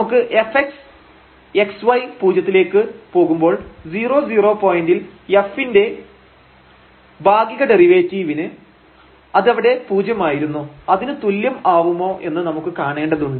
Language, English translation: Malayalam, So, we are approaching to 0 0, we want to see whether f x as x y goes to 0 is equal to the partial derivative of f at 0 0 point which was 0 there